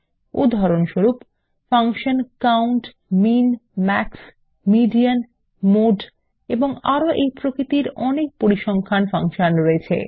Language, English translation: Bengali, For example, functions like COUNT, MIN, MAX, MEDIAN, MODE and many more are statistical in nature